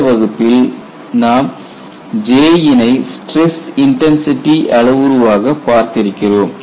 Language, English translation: Tamil, So, now what we will do is, we will go and see how J can be used as a stress intensity parameter